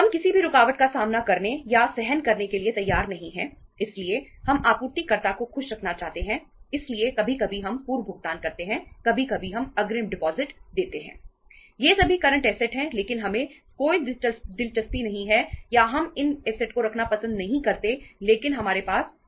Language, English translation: Hindi, No interruptions we are ready to face or to bear so we want to keep the supplier happy so sometime we make the prepayments, sometime we give the advance deposits